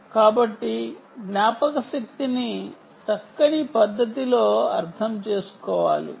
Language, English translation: Telugu, so memory has to be understood in a nice manner